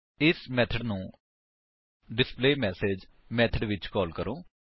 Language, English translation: Punjabi, Let us call this method in the displayMessage method